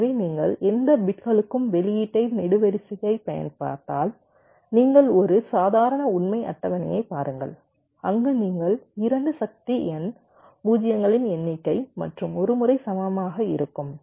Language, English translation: Tamil, if you look at the output column for any of the bits, see for a normal truth table where you have all two to the power, number of zeros are once are equal